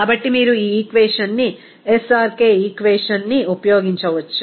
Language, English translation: Telugu, So, you can use this equation, SRK equation